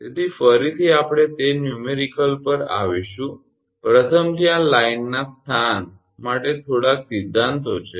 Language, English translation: Gujarati, So, again we will come to a numerical first little bit theories are there location of line